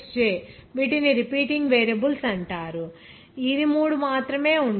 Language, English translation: Telugu, Xj these are called repeating variables this should be only three